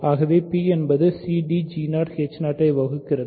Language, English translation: Tamil, So, p divides a c d, right